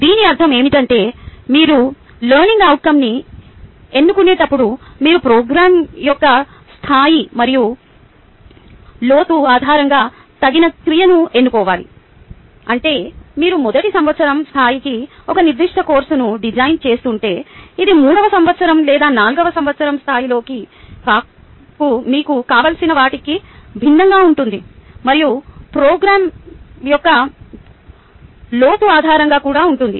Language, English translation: Telugu, what this really means is that when you choose the learning outcome, you need to choose an appropriate verb based on the level and depth of the program, which means that if you are designing a particular course for a first year, level would vary from what you would require it in a third year or a fourth year level, and also based on the depth of the program